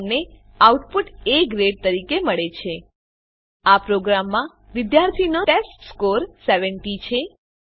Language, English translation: Gujarati, We get the output as A Grade In this program, the students testScore is 70